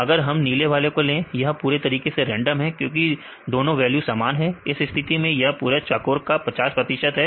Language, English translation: Hindi, If we take the blue one, this completely random because both the values are the same; in this case it is 50 percent of this full square